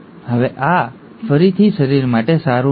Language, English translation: Gujarati, Now this is again not good for the body